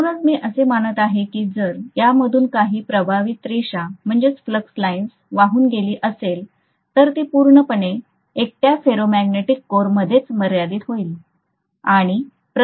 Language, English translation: Marathi, So because of which, I am going to assume that if I have some flux line flowing through this, it is going to completely confine itself to the ferromagnetic core alone